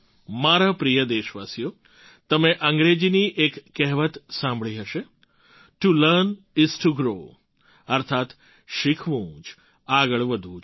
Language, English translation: Gujarati, My dear countrymen, you must have heard of an English adage "To learn is to grow" that is to learn is to progress